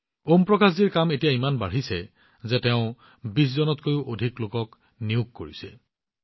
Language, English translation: Assamese, Om Prakash ji's work has increased so much that he has hired more than 20 people